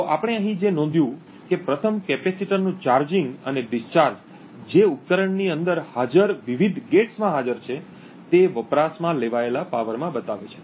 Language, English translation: Gujarati, So, what we notice over here is that first the charging and the discharging of the capacitors which are present in the various gates present within the device shows up in the power consumed